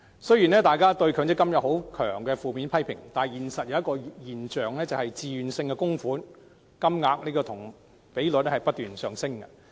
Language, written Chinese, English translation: Cantonese, 雖然大家都強烈批評強積金，但現實卻出現一個現象，就是自願性供款的金額和比率均不斷上升。, Despite the widespread fierce criticisms of MPF in reality a phenomenon has emerged in that voluntary contributions have been on the rise both in amount and proportion